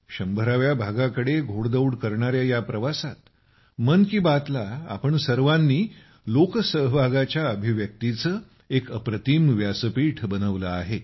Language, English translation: Marathi, In this journey towards a century, all of you have made 'Mann Ki Baat' a wonderful platform as an expression of public participation